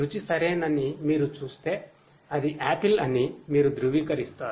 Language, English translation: Telugu, If you see that the taste is ok, then you confirm that it is an apple